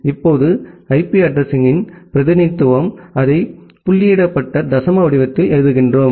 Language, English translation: Tamil, Now, in that the representation of the IP address, we write it in the dotted decimal format